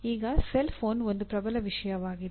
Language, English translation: Kannada, Now a cellphone is a dominant thing